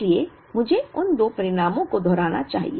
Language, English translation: Hindi, So, let me repeat those two results